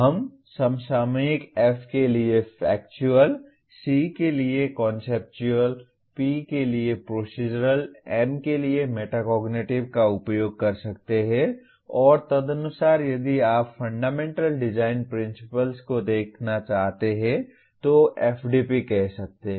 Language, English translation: Hindi, We can use the acronyms F for Factual, C for Conceptual, P for Procedural, M for Metacognitive and correspondingly a engineering knowledge categories if you want to look at the Fundamental Design Principles the FDP you can say